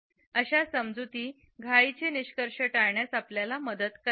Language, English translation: Marathi, This understanding helps us to avoid hasty conclusions